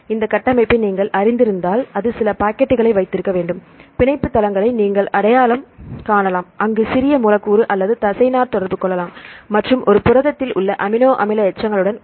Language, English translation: Tamil, So, that should have some pockets right if you know this structure, you can identify the binding pockets the binding sites, where the small molecule or ligand can interact and with the amino acid residues in a protein